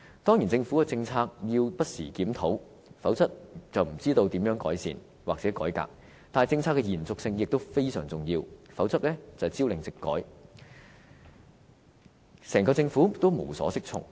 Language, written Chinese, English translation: Cantonese, 當然，政府的政策要不時檢討，否則便不知道如何改善或改革，但政策的延續性也非常重要，否則朝令夕改，整個政府也無所適從。, Of course government policies should be reviewed from time to time otherwise nobody knows how to improve or reform them . But the continuity of policies is equally important otherwise the entire Government will be at a loss as to what to do if it makes frequent or unpredictable changes in policies